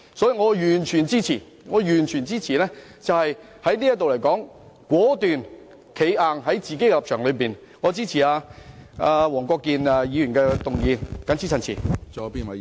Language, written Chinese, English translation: Cantonese, 所以，我完全支持在這一刻果斷地堅持立場，並支持黃國健議員的議案，謹此陳辭。, For this reason I fully agree that we should at this moment firmly uphold our position and support Mr WONG Kwok - kins motion . I so submit